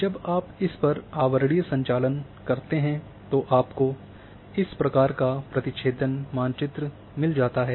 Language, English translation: Hindi, So, when you overlay on this then you get this intersects map is like this